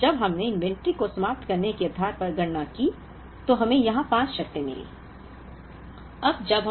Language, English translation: Hindi, So, when we computed based on ending inventory, we got 5 terms here